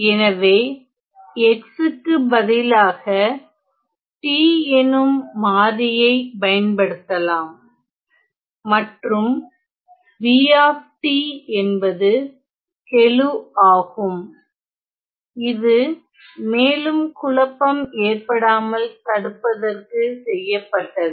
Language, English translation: Tamil, So, instead of x I can replace it by some other variable t so then this is the coefficient b of t just to avoid confusion can confusion later on